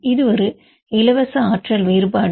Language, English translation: Tamil, It is a free energy difference between